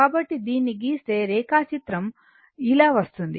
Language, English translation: Telugu, So, if you plot this, if you plot this it graph will come like this